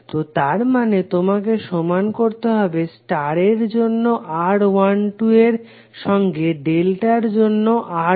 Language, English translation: Bengali, So that means that, you have to equate R1 2 for star equal to R1 2 for delta